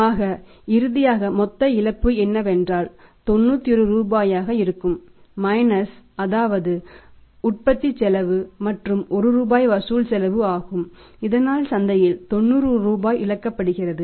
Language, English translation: Tamil, So, finally the total loss is how much 91 that is 90 rupees is the cost of production and 1 rupee is the collection cost so that 90 rupees is lost in the market